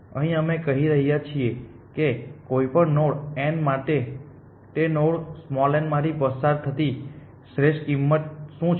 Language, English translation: Gujarati, Here we are saying that for any node n what is the optimal cost going through that node n